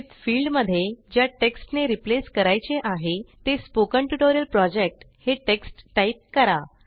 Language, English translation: Marathi, In the With field we type the replaced text as Spoken Tutorial Project